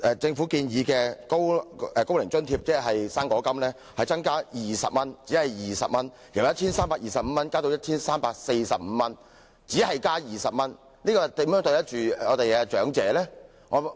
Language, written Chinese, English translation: Cantonese, 政府本年建議把"高齡津貼"的金額調高20元，由 1,325 元增至 1,345 元，只是把金額調高20元，究竟如何對得起我們的長者呢？, This year the Government has proposed increasing the rate of OAA or fruit grant by 20 from 1,325 to 1,345 . How can the Government do justice to the elderly with such a meagre increase of 20?